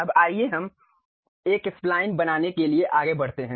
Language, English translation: Hindi, Now, let us move on to construct a Spline